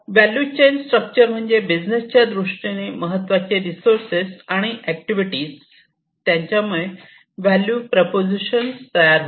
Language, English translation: Marathi, So, value chain structure basically these are the key resources and the activities that a business requires to create the value proposition